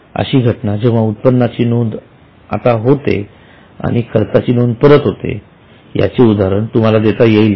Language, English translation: Marathi, Can you give an example of such a happening that revenue is recorded now but expense suddenly comes later